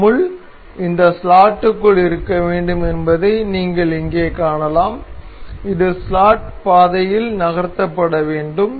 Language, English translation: Tamil, You can see here the the this pin is supposed to be within this slot that can be moved within this slotted the slot path